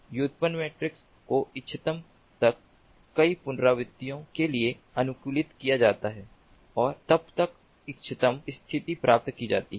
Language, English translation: Hindi, the derived matrix are optimized for several iterations, till optimal and the till the optimal state is achieved